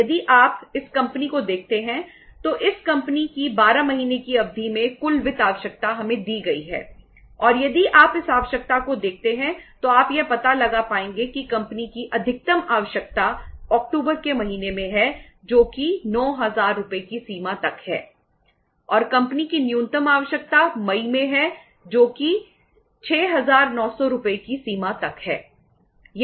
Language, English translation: Hindi, If you look at this company the total finance requirement of this company over a period of 12 months is given to us and if you look at this requirement you would be able to find out that maximum requirement of the company is in the month of October that is to the extent of 9000 Rs and the minimum requirement of the company is in May that is to the extent of 6900 Rs right